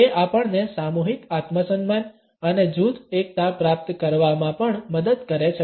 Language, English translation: Gujarati, It also helps us to achieve collective self esteem and group solidarity